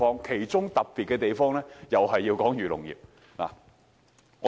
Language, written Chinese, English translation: Cantonese, 其中較為特別的，也是有關漁農業。, The more noteworthy points are about agriculture and fisheries industries